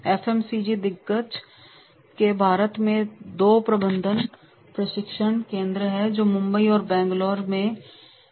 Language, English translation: Hindi, The FMC giant has two management training centers in India and Mumbai and Bangalore, right